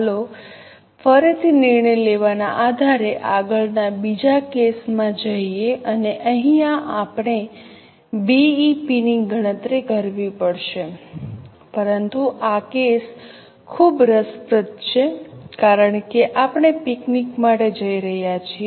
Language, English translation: Gujarati, Let us go for the next case again based on decision making and we have to calculate BP but this case is very interesting because we are going for a picnic